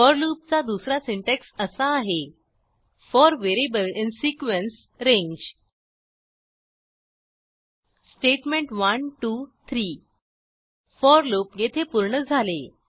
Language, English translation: Marathi, An alternate syntax of for loop is: for variable in sequence/range statement 1, 2, 3 And end of for loop